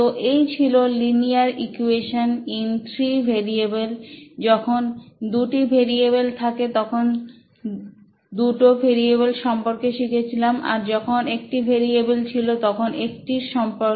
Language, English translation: Bengali, Ok that was linear equation in three variables when two variables you had two variables one variable, one variable